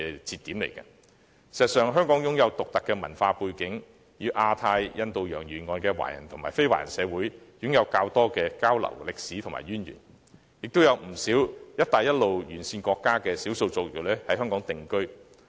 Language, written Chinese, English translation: Cantonese, 事實上，香港擁有獨特的文化背景，與亞太地區及印度洋沿岸的華人和非華人社會有較多交流及歷史淵源，也有不少"一帶一路"沿線國家的少數族裔現於香港定居。, Actually given its unique cultural background Hong Kong has a history of frequent exchanges with both ethnic - Chinese and non - ethnic Chinese communities in the Asia - Pacific Region and along the coast of Indian Ocean . And quite a lot of ethnic minorities from countries along the Belt and Road route have settled down in Hong Kong